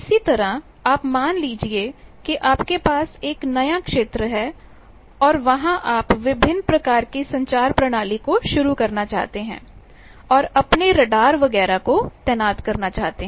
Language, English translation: Hindi, Similarly, you see that suppose you have a new area and there you want to start your various communications, your radars etcetera you want to deploy